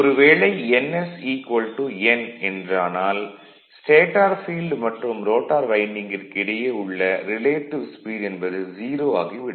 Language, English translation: Tamil, Because if n is equal to ns the relative speed between the stator field and rotor winding will be 0 right